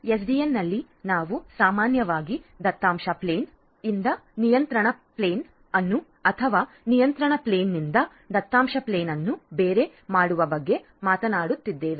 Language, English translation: Kannada, In SDN we are typically talking about decoupling of the data plane from or the decoupling of the control plane from the data plane